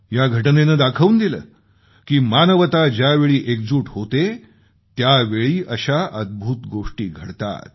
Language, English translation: Marathi, This proves that when humanity stands together, it creates wonders